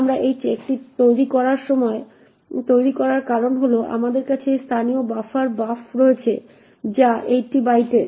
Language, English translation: Bengali, The reason we create this check is that we have this local buffer buf which is of 80 bytes